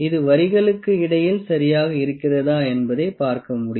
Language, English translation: Tamil, So, we have to see that it is between the lines properly